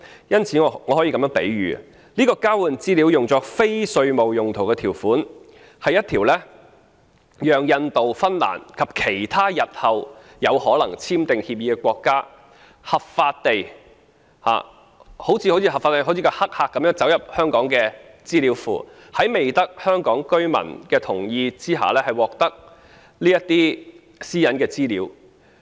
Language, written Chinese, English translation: Cantonese, 因此，我可以作這樣的比喻：這項交換資料作非稅務用途的條款，是讓印度、芬蘭及其他日後有可能簽訂協定的國家合法地好像黑客般走入香港的資料庫，在未得香港居民同意下，獲得這些屬於私隱的資料。, I can therefore draw the following analogy with such a provision on the use of the exchanged information for non - tax related purposes India Finland and other countries which may enter into such agreements with us in the future will be able to legally sneak into the database of Hong Kong like hackers obtaining information of privacy without the consent of Hong Kong people